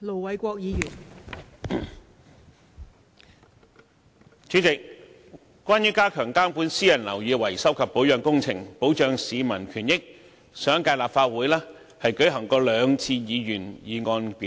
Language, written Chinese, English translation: Cantonese, 代理主席，關於加強監管私人樓宇維修及保養工程，保障市民權益，上一屆立法會已舉行過兩次議員議案辯論。, Deputy President as regards stepping up regulation on the repairs and maintenance works of private buildings to protect peoples rights and benefits there were two debates on Members motions in the last Legislative Council